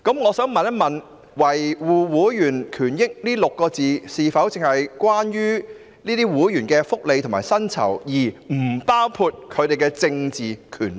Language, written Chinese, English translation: Cantonese, 我想問"維護會員權益"六字是否只關乎會員的薪酬福利，而不包括其政治權利？, I would like to ask Does the expression maintaining the rights of their members concern only the remuneration package of members but not their political rights?